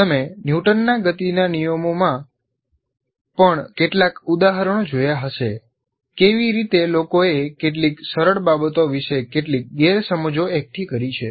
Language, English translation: Gujarati, You must have seen any number of examples of things like with regard to even Newton's loss of motion, how people have accumulated some misconceptions about even some simple things